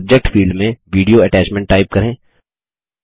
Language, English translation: Hindi, In the Subject field, type Video Attachment